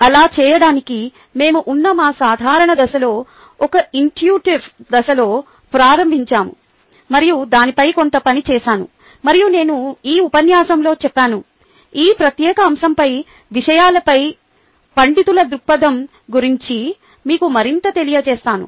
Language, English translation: Telugu, ok, to do that, we started at our usual ah stage, where we are ah and intuitive stage, and then some work done on that and ah, i said in this lecture, ah, i would let you know more about the scholarly view on things, ah, on this particular aspect